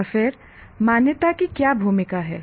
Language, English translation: Hindi, And then what is the role of accreditation